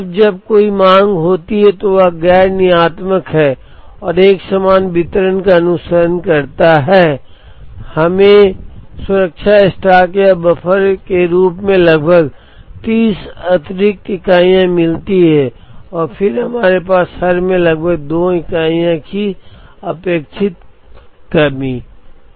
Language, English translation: Hindi, Now, when there is the demand is nondeterministic and follows a uniform distribution we get about 30 extra units as the safety stock or the buffer and then, we have an expected shortage of about 2 units in every cycle